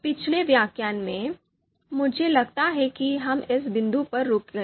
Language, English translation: Hindi, So, so in the previous lecture, I think we stopped at this point